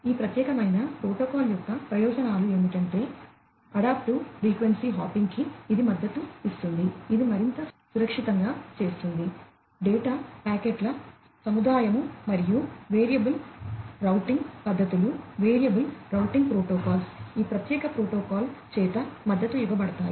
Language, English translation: Telugu, The advantages of this particular protocol is that it supports, adaptive frequency hopping, which makes it more secured, aggregation of data packets, and variable routing methodologies variable routing protocols, are supported by this particular protocol